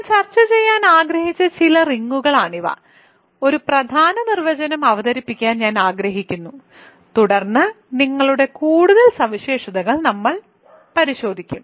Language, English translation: Malayalam, So, these are some of the rings that I wanted to discuss, I want introduce one important definition and then we will look at more properties of rings